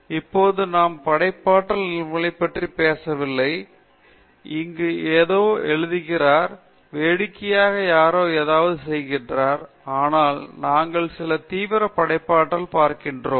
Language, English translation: Tamil, Now, we are not talking about those instances of creativity where somebody writes something here, somebody for fun does something, but we are looking at some serious creativity